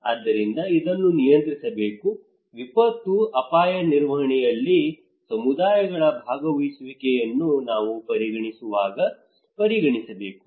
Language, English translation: Kannada, So this should be controlled, considered when we are considering about participation of communities in disaster risk management